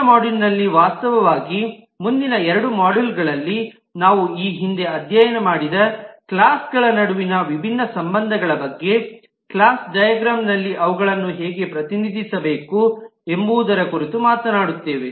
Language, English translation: Kannada, In the next module, actually in the next two modules we will talk about different relationship amongst classes that we had studied earlier, how to represent them in the class diagram